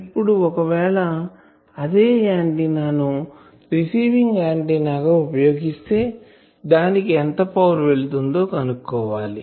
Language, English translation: Telugu, Now, you know that if I use it as receiving antenna, how much power it will be able to find out